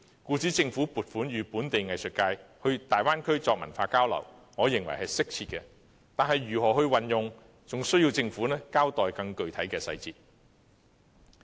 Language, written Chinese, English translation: Cantonese, 故此，政府撥款予本地藝術界到大灣區作文化交流，我認為是適切的，但是，相關撥款如何運用，仍待政府交代更具體的細節。, For this reason the Governments funding for the local arts sector to conduct cultural exchanges in the Bay Area in my view is appropriate but the Government is yet to give an account of more specific details about how the relevant funding will be used